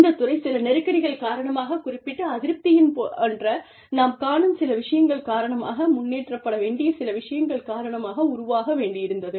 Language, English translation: Tamil, The field needs to evolve, because of certain tensions, because of certain discontents, because certain things, we can see, there are certain things, that need to be improved